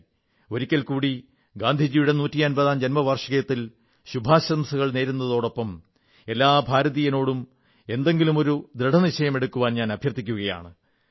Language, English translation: Malayalam, Once again, along with greetings on Gandhiji's 150th birth anniversary, I express my expectations from every Indian, of one resolve or the other